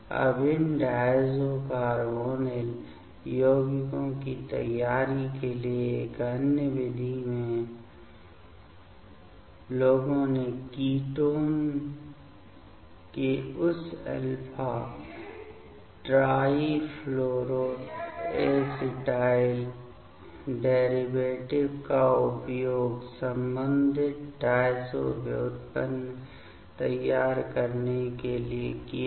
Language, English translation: Hindi, Now, in another method for the preparation of these diazo carbonyl compounds; people have used that alpha trifluoroacetyl derivatives of the ketone to prepare corresponding diazo derivative